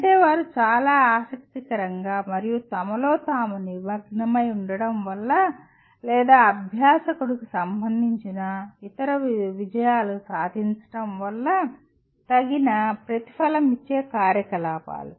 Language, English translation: Telugu, That means activities that are amply rewarded, either because they are very interesting and engaging in themselves or because they feed into other achievements that concern the learner